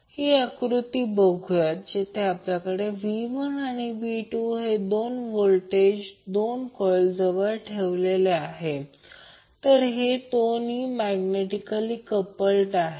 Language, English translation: Marathi, Let us see this particular figure where we have V1 andV2 2 voltages applied across the 2 coils which are placed nearby, so these two are magnetically coupled